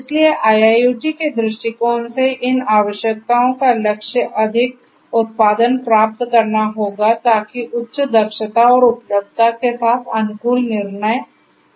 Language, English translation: Hindi, So, so from a IIoT view point these requirements will aim to achieve greater production optimized decisions will be possible with higher efficiency and availability